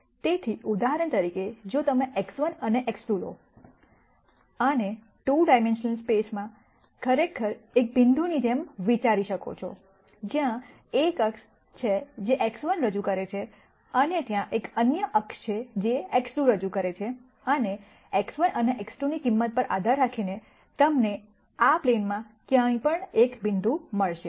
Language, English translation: Gujarati, So, for example, if you take x 1 and x 2 you could think of this, as being a point in a 2 dimensional space, where there is one axis that represents x 1 and there is another axis that represents x 2, and depending on the value of the an x 1 and x 2 you will have a point anywhere in this plane